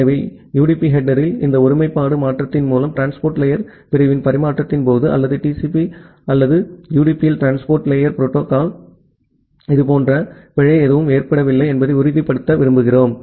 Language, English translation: Tamil, So, we want to make sure through this integrity change at the UDP header that no such error has been occurred during the transmission of the transport layer segment or in TCP or the transport layer datagram at UDP